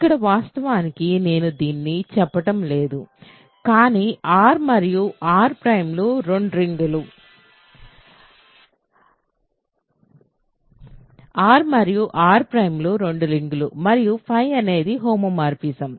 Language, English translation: Telugu, So, here of course, I am not saying this, but R and R prime are two rings; R and R prime are two rings and phi is a homomorphism